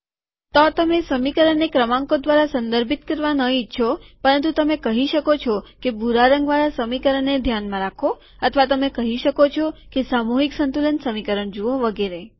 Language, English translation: Gujarati, So you may not want to refer to an equation by numbers but you can say that consider the equation in blue or you may want to say that look at the mass balance equation and so on